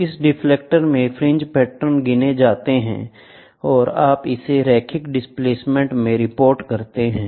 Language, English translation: Hindi, So, in this detector, the fringe patterns are counted, and you report it in linear displacement